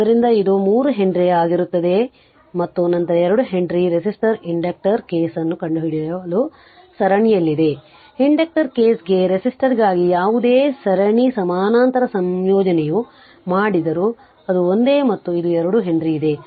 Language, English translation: Kannada, So, it will be your 3 Henry right and then 2 Henry is in series to find out your same like a resistor, inductor case whatever you whatever series parallel combination you have done for resistor for inductor case it is same right and this and then this 2 Henry is there